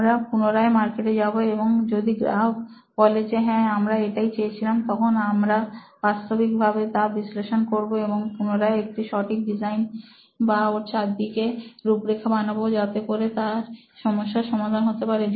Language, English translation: Bengali, So we again go back to the market and if market says yes this is what we asked for, now we are going to actually analyse and we are going to make a proper design or an outline around it and make it a solution to their problem